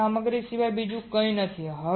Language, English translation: Gujarati, There is nothing but your material